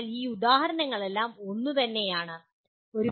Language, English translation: Malayalam, So all these examples are similar